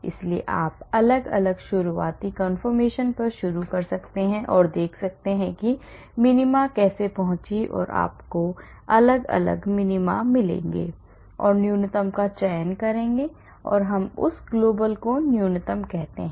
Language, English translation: Hindi, So, you may start at different starting conformations and see how the minima is reached and you will get different minimas and select the minimum of the minimum and we call that global minimum